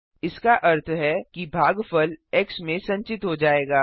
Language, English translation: Hindi, That means the quotient will be stored in x